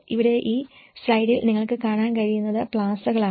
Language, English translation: Malayalam, In here, what you can see in this slide is the plazas